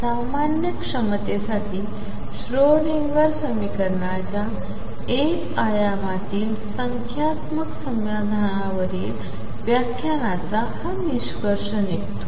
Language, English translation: Marathi, That concludes the lecture on numerical solution of Schrodinger equation in one dimension for a general potential